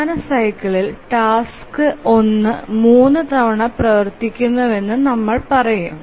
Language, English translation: Malayalam, Let's say the task one runs three times in the major cycle